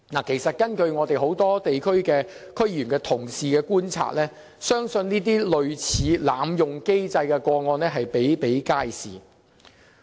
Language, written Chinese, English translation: Cantonese, 事實上，根據眾多地區的區議員同事的觀察，這類濫用機制的個案比比皆是。, In fact many fellow District Council members in numerous districts have noticed this kind of abuse cases